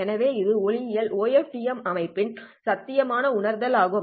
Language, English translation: Tamil, So this is one possible realization of a OFDM, optical OFDM system